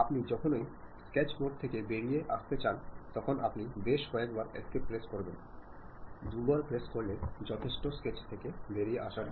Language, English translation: Bengali, Whenever you would like to come out of that sketch the local sketch mode, you press escape several times; twice is good enough to come out of that sketch